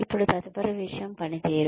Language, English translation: Telugu, The next thing, that comes is performance